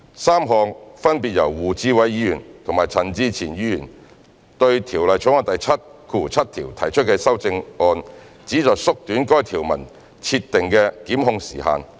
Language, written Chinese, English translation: Cantonese, 三項分別由胡志偉議員和陳志全議員對《條例草案》第77條提出的修正案旨在縮短該條文設定的檢控時限。, The three amendments proposed by Mr WU Chi - wai and Mr CHAN Chi - chuen to clause 77 respectively seek to shorten the time limit for prosecution under the provision